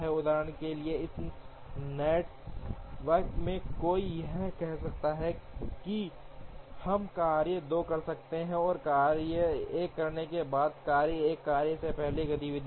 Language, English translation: Hindi, For example from this network one can say that we can perform task 2, after we have performed task 1, task 1 is a preceding activity for task 2